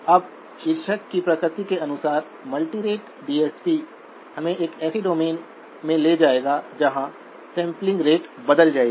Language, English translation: Hindi, Now by the very nature of the title, multirate DSP will take us into a domain where the sampling rates will change